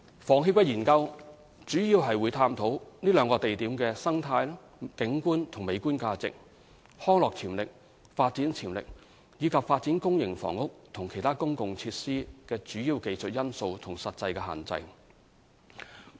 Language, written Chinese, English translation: Cantonese, 房協的研究將主要探討兩個地點的生態、景觀與美觀價值、康樂潛力、發展潛力，以及發展公營房屋和其他公共設施的主要技術因素和實際限制。, HKHSs studies will mainly look into the two areas ecological landscape and aesthetic values; recreational and development potentials; and the major technical factors and practical constraints of developing public housing and other public facilities thereon